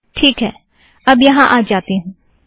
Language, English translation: Hindi, Alright, let me just come here